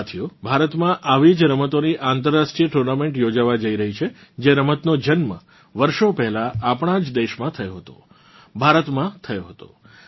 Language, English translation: Gujarati, Friends, there is going to be an international tournament of a game which was born centuries ago in our own country…in India